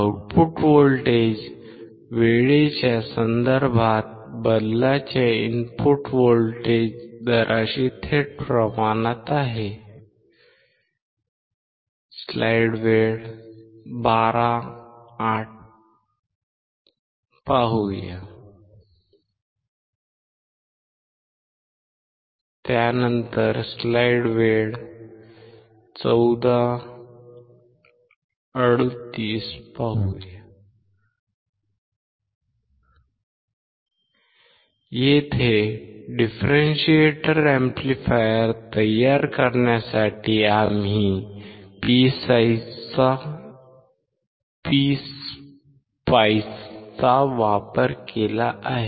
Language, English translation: Marathi, The output voltage is directly proportional to the input voltage rate of change with respect to time; Here, we have used PSpice to form the differentiator amplifier